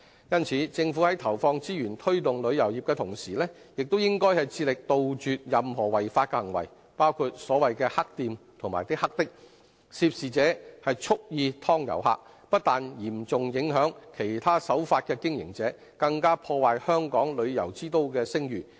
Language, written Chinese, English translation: Cantonese, 因此，政府在投放資源推動旅遊業的同時，亦應致力杜絕任何違法行為，包括所謂的"黑店"和"黑的"，涉事者蓄意"劏"遊客，不但嚴重影響其他守法的經營者，更破壞香港旅遊之都的聲譽。, Hence apart from allocating resources to promote the development of the tourism industry the Government should also step up its efforts to eradicate illegal practices in the trade including those of the so - called black shops and bandit taxis . When tourists get overcharged by these suspected offending operators not only will other law - abiding operators be severely affected Hong Kongs reputation as a tourism city will also be undermined